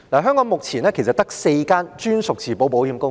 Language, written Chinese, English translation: Cantonese, 香港目前其實只有4間專屬自保保險公司。, Actually there are only four captive insurers in Hong Kong at present